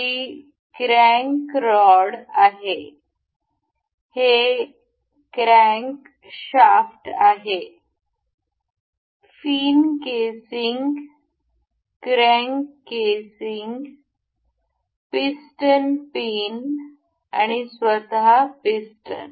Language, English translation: Marathi, This is crank rod; this is crankshaft; the fin casing; the crank casing; the piston pin and the piston itself